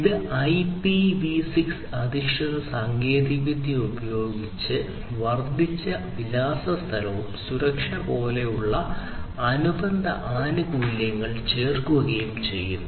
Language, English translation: Malayalam, It uses the IPv6 based technology and adds the associated benefits such as increased address space and security